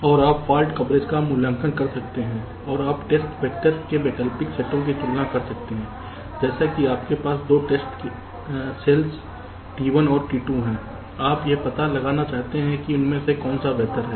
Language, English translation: Hindi, so and also you can evaluate fault coverage and you can compare alternate sets of test vectors, like you have, say, two test cells, t one and t two